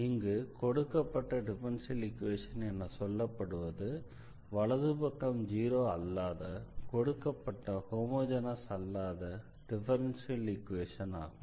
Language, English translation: Tamil, So, the given differential equation means the given non homogeneous differential equation when the right hand side is not equal to 0